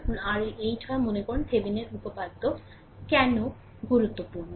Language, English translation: Bengali, Suppose, R L is 8; suppose, why Thevenin’s theorem is important